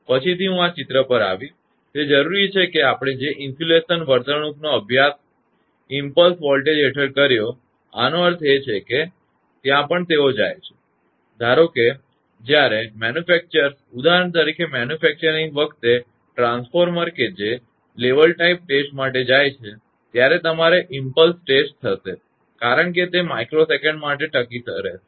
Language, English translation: Gujarati, So, I will come to this figure later on therefore, it is required that the insulation behaviour we studied under such impulse voltages; that means, that is your what you call that whenever they go for; suppose manufacturers when the manufacture transformers for example, say they go for level type test that your impulse test because it will last for micro second